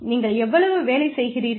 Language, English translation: Tamil, How much work do you do